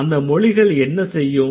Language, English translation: Tamil, So, what did the linguists do